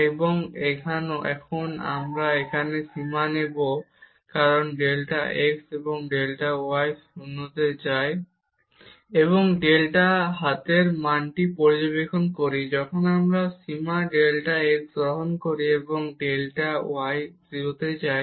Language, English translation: Bengali, And now we will take the limit here as delta x and delta y goes to 0 and observe what is the value right hand side when we take the limit delta x, and delta y goes to 0